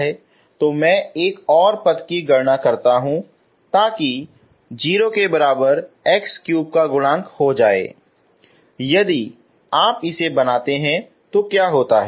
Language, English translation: Hindi, So let me calculate one more term so coefficient of x cube equal to 0 if you make it what happens